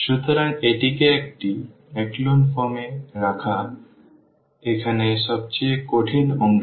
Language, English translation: Bengali, So, this putting into echelon form that is the most I mean the difficult part here